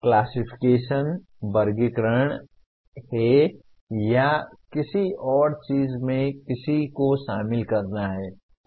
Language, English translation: Hindi, Classification is categorization or subsuming one into something else